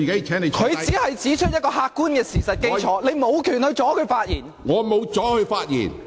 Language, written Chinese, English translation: Cantonese, 黃碧雲議員只是指出一個客觀事實，你無權阻止她發言。, Dr Helena WONG has only pointed out an objective fact and you have no right to stop her from speaking